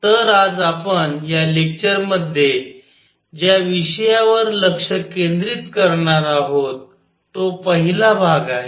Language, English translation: Marathi, So, what we are going to focus today in this lecture on is the first part